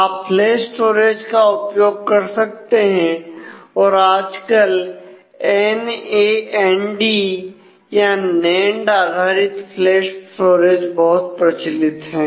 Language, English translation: Hindi, You can use flash storage nowadays the NAND based flash storage is are very common